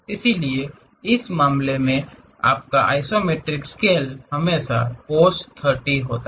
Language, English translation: Hindi, So, your isometric scale always be cos 45 by cos 30 in this case